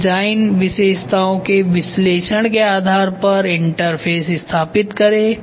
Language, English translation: Hindi, Then establish the interfaces based on the analysis of the design feature